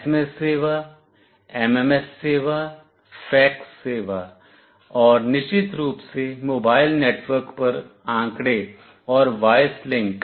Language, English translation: Hindi, SMS service, MMS service, fax service, and of course data and voice link over mobile network